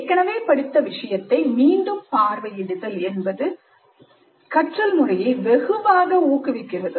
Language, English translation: Tamil, Such a revisit to material learned earlier is known to promote learning very significantly